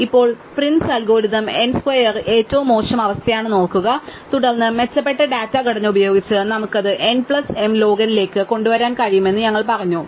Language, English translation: Malayalam, Now, remember that prince algorithm n square was the worst case and then we said with the better data structure we could bring it down to n plus m log n